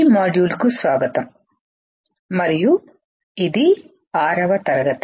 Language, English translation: Telugu, Welcome to this module and these are class 6